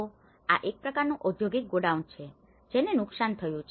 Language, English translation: Gujarati, So, now this is a kind of industrial godown which has been damaged